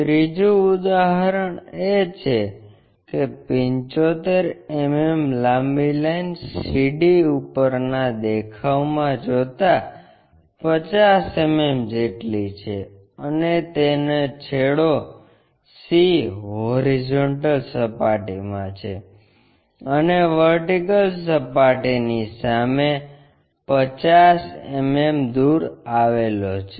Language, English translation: Gujarati, The third example is there is a top view in that 75 mm long line CD which measures 55 50 mm; and its end C is in horizontal plane and 50 mm in front of vertical plane